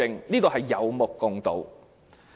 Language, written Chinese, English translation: Cantonese, 這也是有目共睹的。, This is also obvious to all